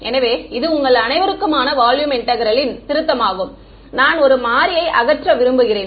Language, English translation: Tamil, So, this is the revision for you all for volume integral I want to eliminate one variable